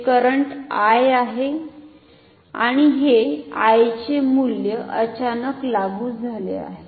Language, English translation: Marathi, So, this is time, this is current I and this value of I is applied suddenly ok